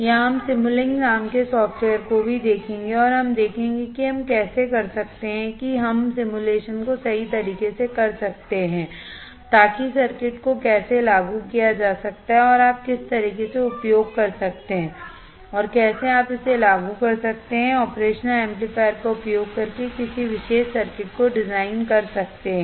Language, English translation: Hindi, Or we will also see software called simulink and we will see how we can do how we can perform the simulation right, so that will give a little bit more understanding on how the circuit can be implemented what kind of equipment you can use and how you can design a particular circuit using operation amplifier all right